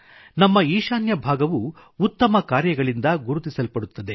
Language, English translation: Kannada, Now our Northeast is also known for all best deeds